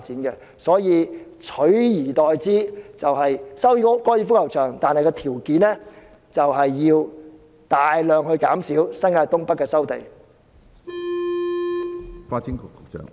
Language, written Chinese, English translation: Cantonese, 因此，取而代之的做法是，收回高爾夫球場，但條件是要大量減少新界東北的收地範圍。, Hence an alternative approach is to resume the golf course under the condition that land resumption in North East New Territories will be reduced significantly